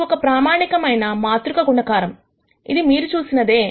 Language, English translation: Telugu, This is your standard matrix multiplication that you have seen